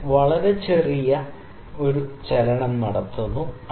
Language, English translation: Malayalam, I make a very small movement